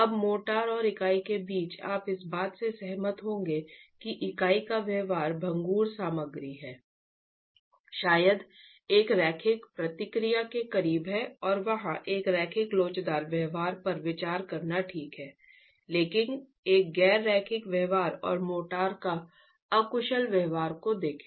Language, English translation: Hindi, Now between the motor and the unit you will agree that the behavior of the unit is being the brittle material probably closer to a linear response and it is okay to consider a linear elastic behavior there but look at a nonlinear behavior and inelastic behavior of the motor itself